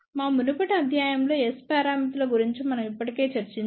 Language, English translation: Telugu, We have already discussed about S parameters in our previous lecture